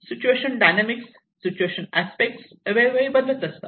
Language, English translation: Marathi, The dynamics of the situation, the situational aspect changes from time to time